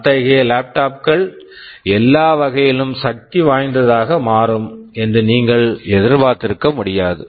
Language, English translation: Tamil, Well you do not expect that those laptops will become powerful in all respects